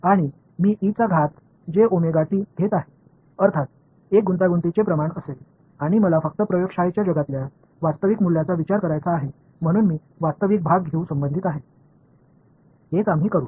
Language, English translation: Marathi, And I have put the e to the j omega t that is the phasor and I this is; obviously, going to be a complex quantity and since I want to only deal with real valued quantities in the lab world so I related by taking the real part so, that is what we will do